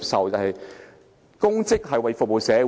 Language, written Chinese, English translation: Cantonese, 擔任公職是服務社會。, To go into public office is to serve the community